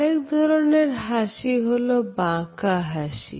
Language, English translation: Bengali, The next type of a smile is the twisted or the lop sided smile